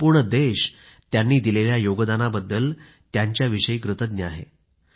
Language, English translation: Marathi, The country is indeed grateful for their contribution